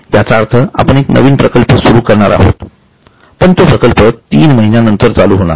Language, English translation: Marathi, That means we are going to start a new project, but it will start after three months